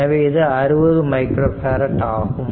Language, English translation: Tamil, So, 60 micro farad right